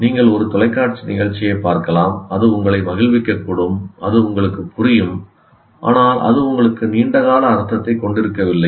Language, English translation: Tamil, You may watch a television program, it may entertain you, it makes sense to you, but it doesn't make, it has no long term meaning for you